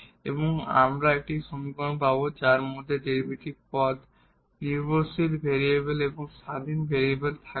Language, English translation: Bengali, And then we will get equation which we will contain only the derivatives terms and the dependent independent variables free from that parameters